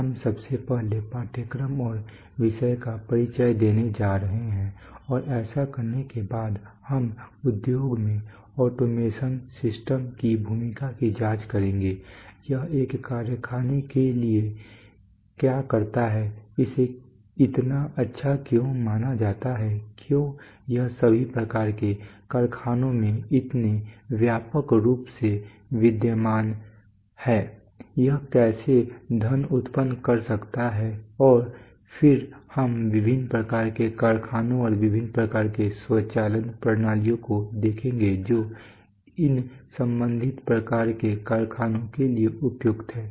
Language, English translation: Hindi, So, we are first of all we are going to have an introduction to the course and the subject having done that, we shall examine the role of automation systems in the industry, what it does to a factory, why it is considered so good, why it is found so widely existing in all types of factories, how it can generate money and then we will look at the various types of factories and the various types of automation systems which are suitable to these respective types of factories